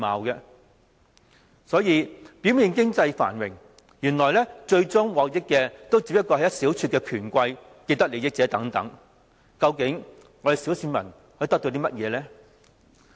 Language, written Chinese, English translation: Cantonese, 香港表面經濟繁榮，原來最終獲益的不過是一小撮權貴和既得利益者，究竟小市民可以得到甚麼呢？, Despite Hong Kongs apparent economic prosperity our economic gain goes only to a handful of rich powerful people and vested interests at the end of the day . What else is left to the ordinary public then?